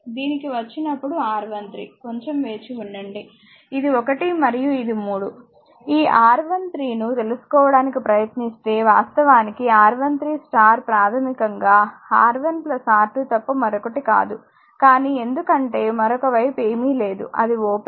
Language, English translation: Telugu, This one when you come that R 1 3; that means, just hold on this is 1 and this is 3 try to find out R 1 3 this is actually R 1 3 then it is star right basically is nothing, but R 1 plus R 2 because other side is nothing is there open